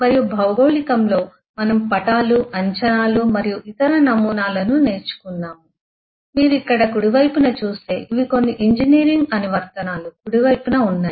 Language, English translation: Telugu, in geography we have eh learnt models of maps, projections and so on and if you look into the right hand side eh in here these are on the right hand side are some of the engineering applications